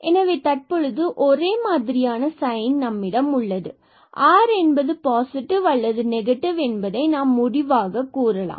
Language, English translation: Tamil, So, we can conclude now that we have the same sign because r will have either positive or negative